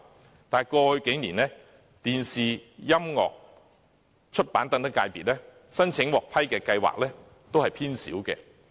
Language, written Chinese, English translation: Cantonese, 可是，在過去數年，電視、音樂和出版等界別申請獲批的計劃數量偏少。, Even so the number of approved projects from television broadcasting music and publishing sectors have been on the low side in the last few years